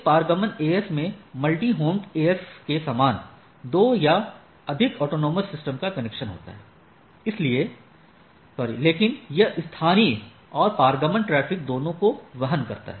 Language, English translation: Hindi, A transit AS has connection of 2 or more autonomous systems like multi homed AS but carries both local and transit traffic